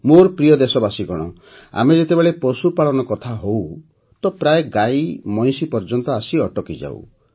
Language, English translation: Odia, My dear countrymen, when we talk about animal husbandry, we often stop at cows and buffaloes only